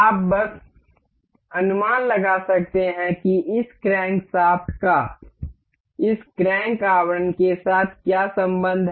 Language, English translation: Hindi, You can just guess what relation does this crankshaft needs to have with this crank casing